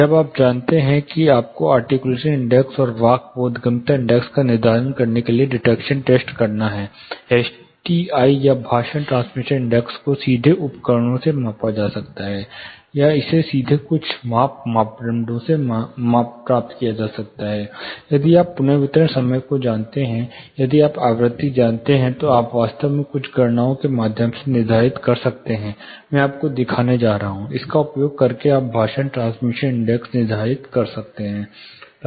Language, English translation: Hindi, why you know you have to do the dictation tests for determining articulation index and speech intelligibility index, STI, speech transmission index can be directly measured with instruments, or it can be directly derived with certain measure parameters; say if you know the reverberation time, if you know the frequency, then you can actually determine through certain calculations I am going to show you, using that you can determine what is speech transmission index